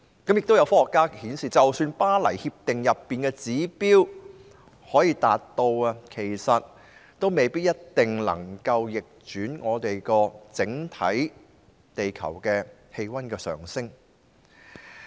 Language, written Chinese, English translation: Cantonese, 也有科學家指出，即使能夠達到《巴黎協定》中的指標，也未必一定能逆轉整體地球氣溫的上升。, Some scientists have also pointed out that even if those targets are achievable we may not necessarily be able to reverse the overall global temperature rise